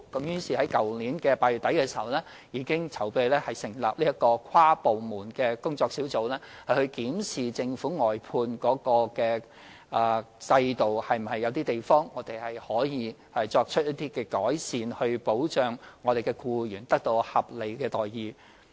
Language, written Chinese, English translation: Cantonese, 於是，在去年8月底，我們已籌備成立這個跨部門工作小組，負責檢視政府的外判制度有何可以改善之處，以保障僱員得到合理待遇。, Therefore in late August last year preparations were made for establishing this inter - departmental working group responsible for examining ways to improve the outsourcing system of the Government in order to ensure that the employees receive reasonable wages